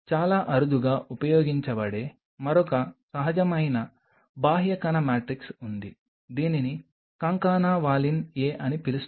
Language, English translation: Telugu, There is one more natural extracellular matrix which is very rarely used, which is called Concana Valin A